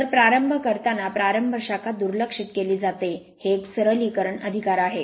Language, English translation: Marathi, So, at the start the start branch is neglected right just for the it is a simplification right